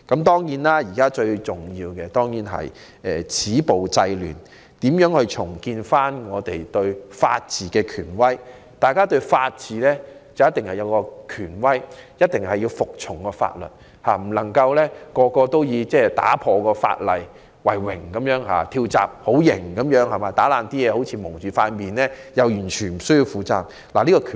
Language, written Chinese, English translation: Cantonese, 當然，現在最重要的是要止暴制亂，重建香港的法治權威，因法治有其權威性，市民必須遵守法律，不能以違反法例為榮，以為"跳閘"是很正義的行為，蒙面破壞則完全無需負上刑責。, Certainly the most important task before us now is to stop violence and curb disorder thereby rebuilding the authority of the rule of law in Hong Kong . The law has its authority and all of us in Hong Kong should abide by the law and should not take pride in violating the law and believing that acting as a free riders is a justified act and committing vandalism with face covered can escape criminal liability